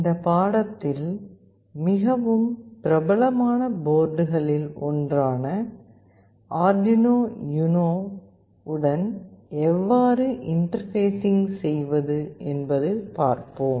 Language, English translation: Tamil, In this lecture I will be showing you how we can Interface with Arduino UNO, one of the very popular boards